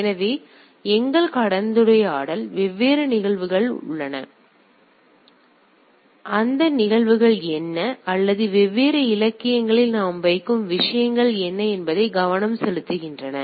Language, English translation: Tamil, So, our discussion will be more concentrating on this that what are the different phenomena or what are the things we put it in different literature and so and so forth right